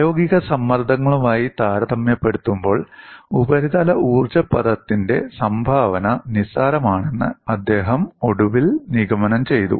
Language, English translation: Malayalam, He finally concluded that the contribution of the surface energy term is negligible in comparison to the applied stresses